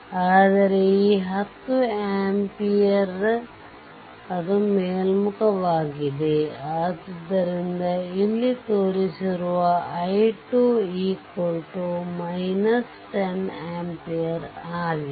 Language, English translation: Kannada, So, i 2 is equal to minus 10 ampere that is shown here i 2 is equal to minus 10 ampere